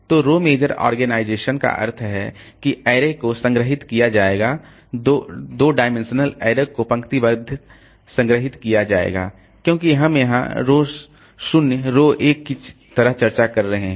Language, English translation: Hindi, So, row major organization means the array will be stored, two dimensional array will be stored row wise as we are discussing here like row 0, row 1, so like that